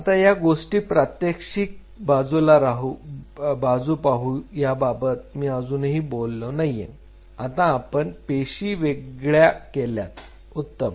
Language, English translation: Marathi, Now there is a practical side of the story which I have not talked about now we have separated the cells great